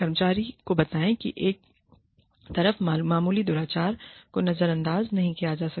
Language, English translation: Hindi, Let the employee know, that minor misconduct, on the one hand, will not be ignored